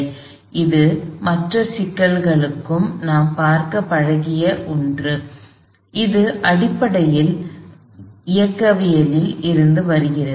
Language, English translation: Tamil, So, this is something we are used to seeing in the other problems as well, this is basically coming from kinematics